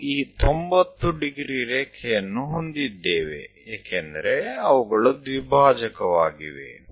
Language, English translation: Kannada, We have this 90 degrees line because they are bisecting